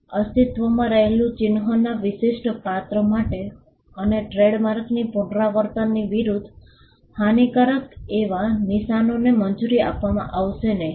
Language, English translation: Gujarati, Marks that are detrimental to the distinctive character of an existing mark and against the repetition of a trademark will not be granted protection